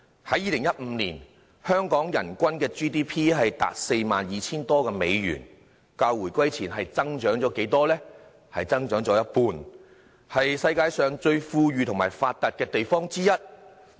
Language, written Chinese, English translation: Cantonese, 在2015年，香港人均 GDP 達 42,000 多美元，較回歸前增長了一半，是世界上最富裕和發達的地方之一。, The GDP per capita of Hong Kong in 2015 reached some US 42,000 an increase of some 50 % over that before the reunification making Hong Kong one of the most prosperous and advanced places in the world